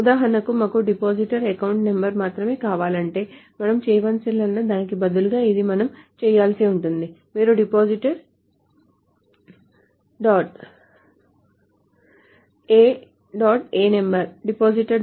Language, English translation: Telugu, So for example, if we want only that depositor account numbers, so what we may need to do is, instead of these, what we will need to do is you say select depositor dot a number